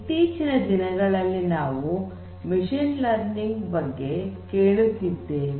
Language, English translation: Kannada, All of us we have heard about machine learning nowadays